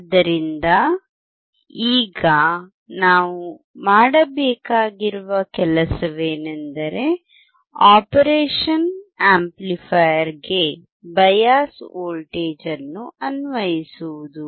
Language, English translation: Kannada, So now, first thing that we have to do is to apply the bias voltage to the operation amplifier